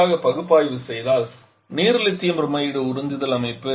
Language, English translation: Tamil, If let us quickly analyse the water Lithium Bromide absorption system